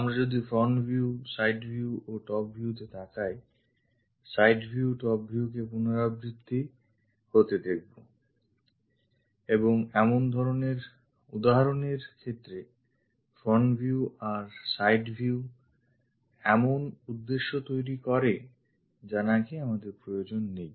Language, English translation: Bengali, If we are looking at front view side view and top view, the side view and the top view are repeating and in such kind of instances keeping front view and side view makes the purpose we do not really require